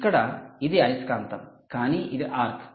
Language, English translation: Telugu, you can see, this is a magnet, but it is an arc